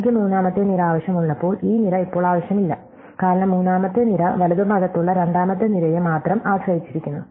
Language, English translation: Malayalam, When I need the third column, this column is now not needed anymore, because the third column depends only on the second column from the right